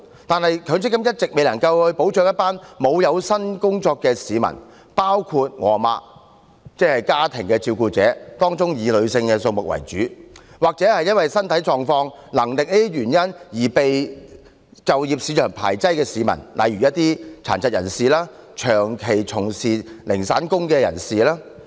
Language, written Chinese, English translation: Cantonese, 然而，強積金一直未能保障一群沒有有薪工作的市民——包括我的母親，即家庭照顧者，當中以女性為主——或因身體狀況和能力等原因而被就業市場排斥的市民，例如殘疾人士、長期從事零散工的人士。, While the optimum use of MPF is to provide retirement protection for salaried employees it has all along been unable to provide protection for those who are not on payroll―including my mother ie . the family carers with the majority of them being women―or members of the public rejected by the job market due to their physical condition or abilities such as people with disabilities and those working casual jobs on a long - term basis